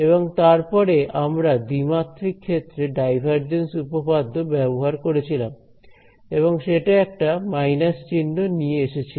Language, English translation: Bengali, And then after that we use the divergence theorem in 2D and that came with a minus sign right